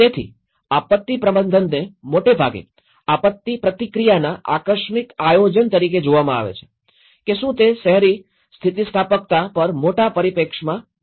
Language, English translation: Gujarati, So, disaster management is mostly seen as a contingency planning for disaster response whether in a larger perspective on urban resilience